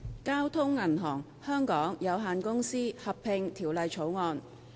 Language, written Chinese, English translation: Cantonese, 《交通銀行有限公司條例草案》。, Bank of Communications Hong Kong Limited Merger Bill